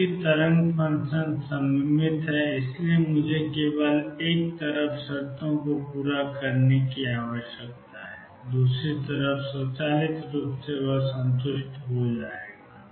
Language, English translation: Hindi, Since the wave function is symmetric I need to satisfy conditions only on one side the other side will be automatically satisfied